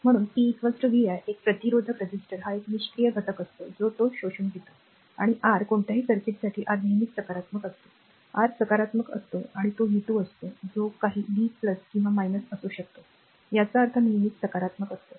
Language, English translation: Marathi, So, p is equal to vi a resistor is a passive element it absorbed power, and R is always positive for any circuit you take R is positive, and it is v square whatever may be the v plus or minus is square means always positive